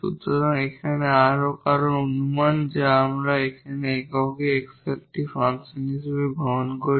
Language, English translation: Bengali, So, again further assumption here which we take to get this I as a function of x alone